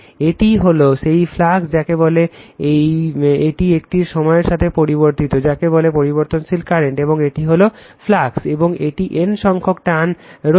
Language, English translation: Bengali, This is the phi right that flux your what you call this is a time varying your what to call time varying current, and this is the flux phi right, and it has number of your N turns